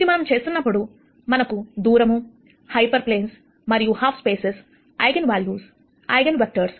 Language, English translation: Telugu, While we do this, we are going to cover the ideas of distance, hyperplanes, half spaces, Eigenvalues Eigenvectors